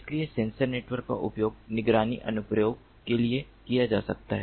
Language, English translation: Hindi, so sensor networks can be used for surveillance application